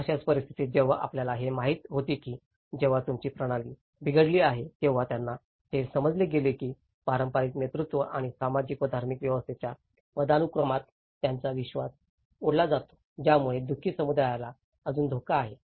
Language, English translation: Marathi, That is where such kind of situations you know when they were made aware that your system have failed that is where they leads to the loss of faith in the traditional leadership and hierarchies of the social and the religious order making the distressed community still more prone to the external influence